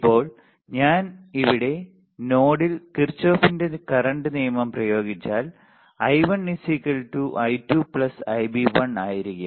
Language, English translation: Malayalam, Now, if I apply Kirchhoff's current law at node a here I1 equals to I2 plus Ib1 all right